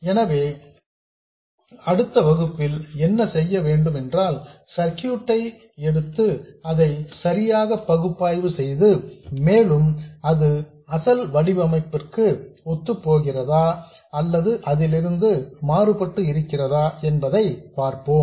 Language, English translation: Tamil, So, what we will do in the next lesson is to take this circuit and analyze it properly and see how it conforms to our original design or deviates from it